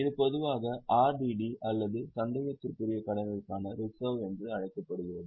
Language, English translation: Tamil, This is normally is known as RDD or reserve for doubtful debts